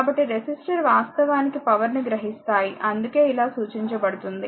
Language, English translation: Telugu, So, resistor actually absorbed power that is why this way you represent right